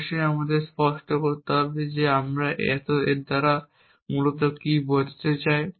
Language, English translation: Bengali, Of course, we need to clarify what do we mean by this essentially